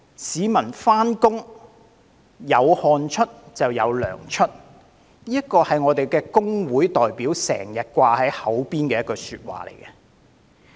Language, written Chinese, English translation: Cantonese, "市民上班，有汗出就有糧出"，這是工會代表經常掛在口邊的一句話。, Sweat and toil of employees are not for free is a saying on the lips of trade union representatives